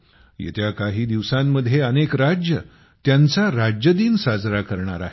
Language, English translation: Marathi, In the coming days, many states will also celebrate their Statehood day